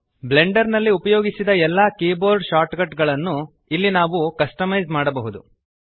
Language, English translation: Kannada, Here we can customize all the keyboard shortcuts used in Blender